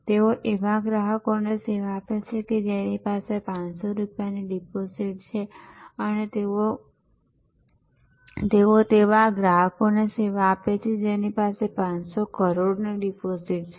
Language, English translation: Gujarati, They serve a customer who has only 500 rupees deposit and they serve a customer who has 500 crores of deposit